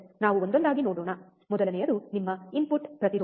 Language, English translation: Kannada, Let us see one by one, the first one that is your input impedance